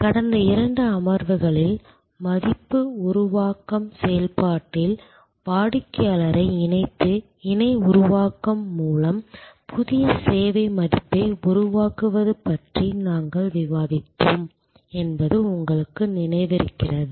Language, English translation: Tamil, You recall, in the last couple of sessions we were discussing about new service value creation through co creation by co opting the customer in the value creation process